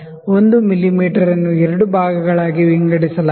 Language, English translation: Kannada, 5 mm; 1 mm is divided into two parts